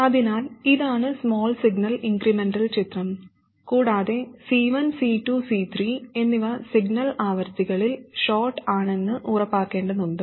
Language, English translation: Malayalam, So, this is the small signal incremental picture and we have to make sure that C1, C2 and C3 are shorts at the signal frequencies